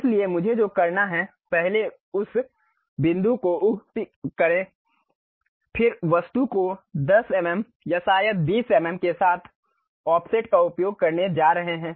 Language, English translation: Hindi, So, what I have to do is first pick that point uh pick that object then use Offset with 10 mm or perhaps 20 mm we are going to construct offset